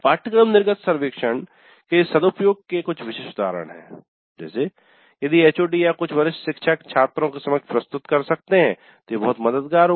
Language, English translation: Hindi, So, some typical instances of good use of course exit survey if the HOD or if some senior faculty can present it to the students it would be very helpful